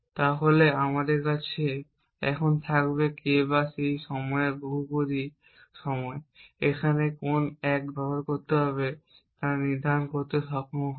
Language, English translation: Bengali, Then we will just have now, K times that time polynomial time will be able to decide on which 1 to use here